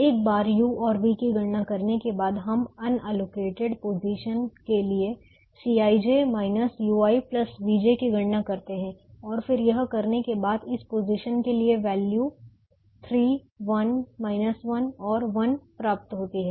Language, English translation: Hindi, once the u's and v's are computed, we also said that we will compute c i j minus u i plus v j for the unallocated positions and when we did that, for this position the value is three, one minus one and one